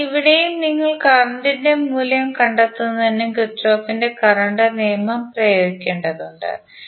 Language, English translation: Malayalam, Because here also you have to apply the Kirchhoff's law to find out the value of circulating currents